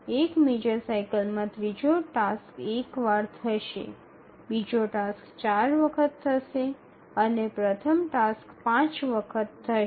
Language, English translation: Gujarati, So, in one major cycle, the third task will occur once, the second task will occur four times and the first task will occur five times